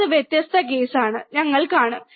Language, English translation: Malayalam, That is different case, we will see